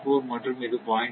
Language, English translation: Tamil, 4 and this is your 0